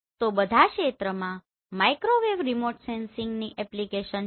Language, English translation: Gujarati, So altogether Microwave Remote Sensing has application in all the areas